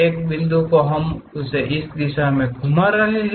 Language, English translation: Hindi, A point we are rotating in that direction